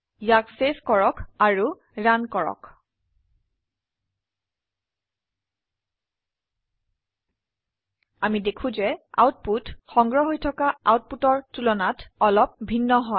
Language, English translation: Assamese, Save it and Run it we see, that the output is little different from what has been stored